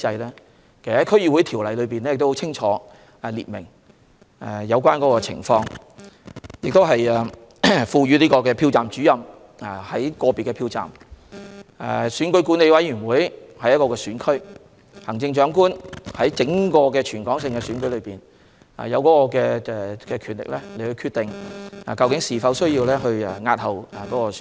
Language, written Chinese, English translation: Cantonese, 其實，《區議會條例》已清楚訂明有關情況，例如，賦予票站主任在個別的票站、選管會在一個選區、行政長官在整個香港的選舉中有權力決定是否需要押後選舉。, In fact the District Councils Ordinance has clear provisions in this respect . For example the following parties have the right to decide whether the election has to be postponed the Presiding Officer in relation to individual polling stations EAC in relation to specific constituencies and the Chief Executive in relation to the entire election in Hong Kong